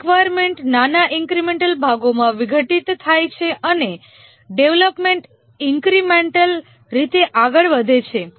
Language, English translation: Gujarati, Here the requirements are decomposed into small incremental parts and development proceeds incrementally